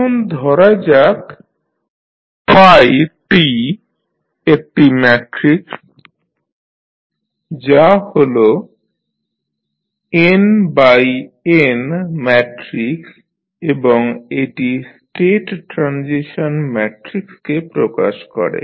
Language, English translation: Bengali, Now, let us assume that there is a matrix phi t which is n cross n matrix and it represents the state transition matrix